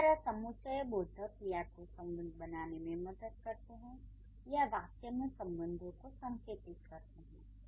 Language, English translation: Hindi, So, conjunctions could either help you to make connections or it can also indicate relationships